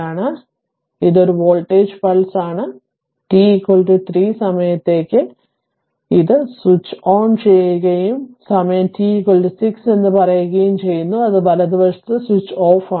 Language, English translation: Malayalam, So, it is a voltage pulse so at time t is equal to 3 it is switched on and say time t is equal to 6, it is switched off right